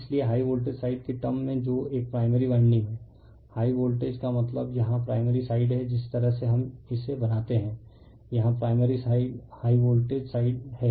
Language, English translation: Hindi, Therefore, in terms of high voltage side that is a primary winding, right, high voltage means here primary side the way we are made it, right here you are primary side is the high voltage side, right